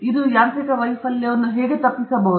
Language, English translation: Kannada, How does it survive the mechanical failure